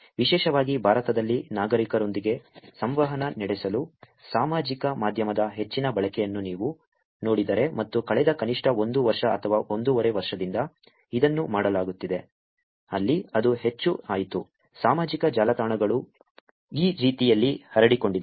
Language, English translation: Kannada, Particularly in India, if you see there is lot more usage of social media for interacting with citizens and this is being done for the last at least a year or year and half, where it has become more, the social networks have proliferated the way that the government is organizing themselves and interacting with citizens